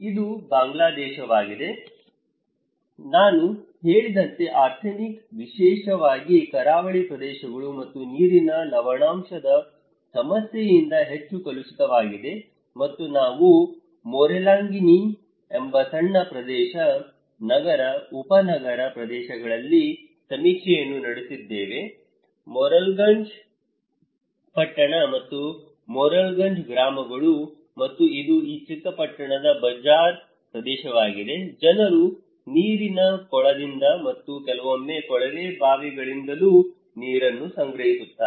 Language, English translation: Kannada, This is Bangladesh, as I said is highly contaminated by arsenic especially, the coastal areas and also water salinity issue and we conducted the survey in a small area, city, suburban areas called Morrelganj; Morrelganj town and Morrelganj villages and this is the bazaar area of this small town, people are collecting water from water pond and also from tube wells sometimes